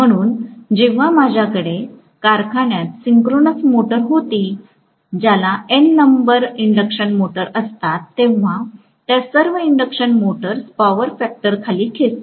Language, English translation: Marathi, So, when I was a synchronous motor in a factory, which is, you know, having N number of induction motors, all those induction motors will pull down the power factor